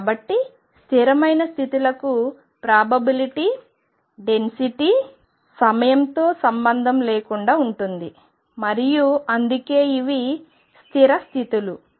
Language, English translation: Telugu, So, for a stationary states the probability density remains independent of time and that is why these are stationary states